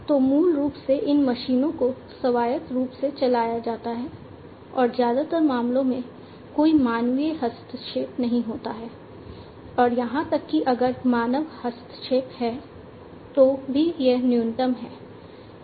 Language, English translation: Hindi, So, basically these machines are run autonomously and in most cases basically, you know there is no human intervention; and even if there is human intervention, it is minimal